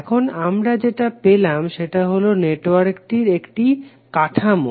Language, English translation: Bengali, Now what we got is the skeleton of the network